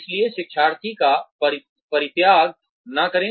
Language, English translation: Hindi, So do not abandon the learner